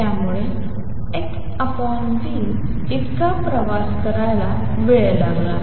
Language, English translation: Marathi, So, it took time x by v to travel that much